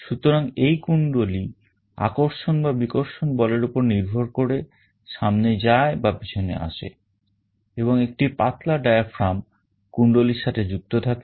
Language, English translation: Bengali, So, this coil will be moving forward and backward depending on the attractive or repulsive force and there is a thin diaphragm connected to that coil